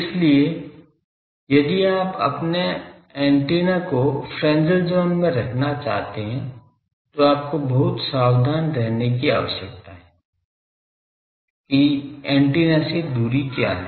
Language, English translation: Hindi, So, if you want to put your antennas in Fresnel zone you need to be very careful, that what is the distance from the antenna